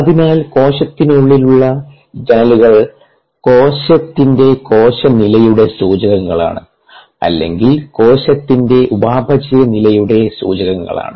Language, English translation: Malayalam, so the windows to the cell are the indicators of cellular status of the cell or indicators of metabolic status of the cell